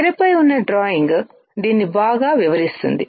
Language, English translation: Telugu, The drawing on the screen would explain it better